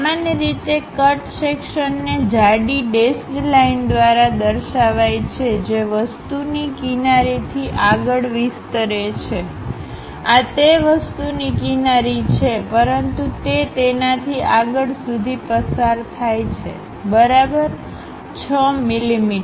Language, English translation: Gujarati, Usually the cut planes represented by a thick dashed line that extend past the edge of the object; this is the edge of that object, but it pass ok over that, 6 mm